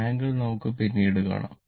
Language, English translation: Malayalam, Angle we will see later